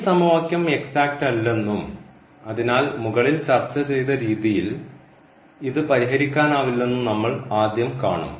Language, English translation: Malayalam, So, for instance we will consider this equation and we will first see that this equation is not exact and hence it cannot be solved as the method discussed above